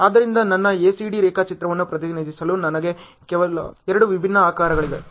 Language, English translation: Kannada, So, I have only two different shapes to represent my ACD diagram